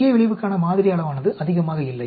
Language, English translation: Tamil, That is not very so sample size for main effect